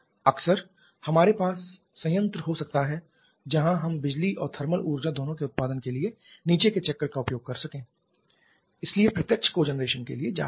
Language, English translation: Hindi, Quite often we may have the plant where we use the bottoming cycle for production of both electricity and thermal energy therefore going for direct cogeneration